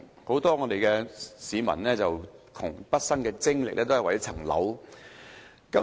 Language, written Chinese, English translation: Cantonese, 很多市民窮畢生精力，都是為了一層樓。, Many people have spent their whole life working in the hope of buying their own homes